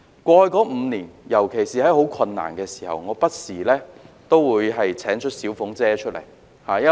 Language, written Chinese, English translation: Cantonese, 過去5年，尤其是在很困難的時候，我不時都會請出"小鳳姐"。, In the past five years a song by Paula TSUI has from time to time popped up in my mind especially during some very difficult times